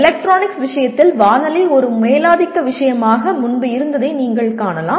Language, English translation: Tamil, In the case of electronics you can see earlier radio was a dominant thing